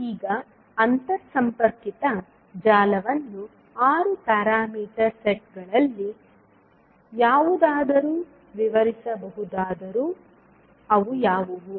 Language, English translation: Kannada, Now, although the interconnected network can be described by any of the 6 parameter sets, what were those